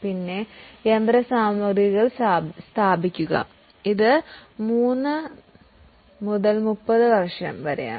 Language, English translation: Malayalam, Then plant, machinery equipment, it is 3 to 30 years